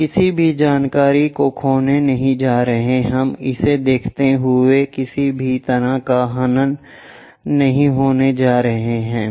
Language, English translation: Hindi, We are not going to lose any information, we are not going to create any aberration while looking it